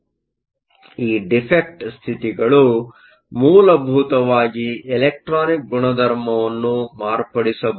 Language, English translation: Kannada, So, these defect states can essentially modify the electronic properties